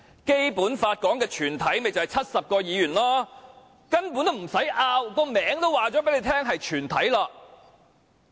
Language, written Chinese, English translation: Cantonese, 《基本法》說的"全體"便是70名議員，根本不用爭拗，名稱已經告訴大家是"全體"。, As the term also suggests it is basically indisputable that the whole Council in the Basic Law refers to the 70 Members who constitute the whole Council